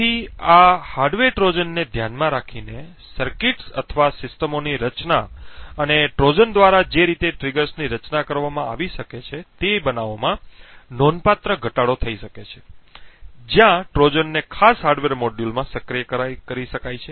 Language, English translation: Gujarati, So, designing circuits or systems keeping in mind these hardware Trojans and the way a Trojans triggers can be designed could drastically reduce the cases where Trojans can be activated in particular hardware module